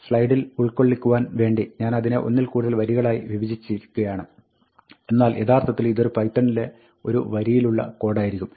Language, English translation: Malayalam, Now, just to fit on the slide, I have split it up into multiple lines, but actually, this will be a single line of python code